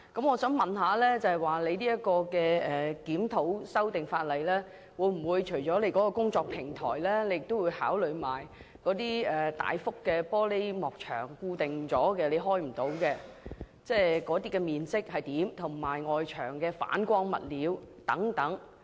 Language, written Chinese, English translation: Cantonese, 我想請問副局長，這次檢討修訂的法例，除了工作平台外，會否一併考慮那些固定的、不能開啟的大幅玻璃幕牆，以及外牆反光物料等？, Under Secretary apart from working platforms will the review mentioned above also cover those gigantic glass curtain walls that are fixed and sealed as well as the reflective materials on external walls?